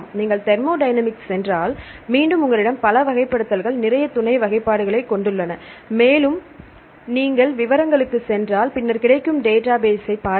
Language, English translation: Tamil, If you go to the thermodynamics, again you have several classifications plenty of sub classifications and you have go into the details and then see the database available